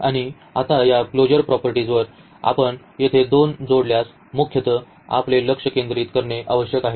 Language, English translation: Marathi, And, now this closure properties we need to basically focus on if we add the 2 here